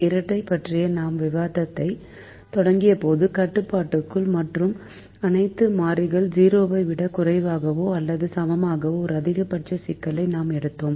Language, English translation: Tamil, when we began our discussion on the dual, we took a maximization problem with all less than or equal to constraints and all variables greater than or equal to zero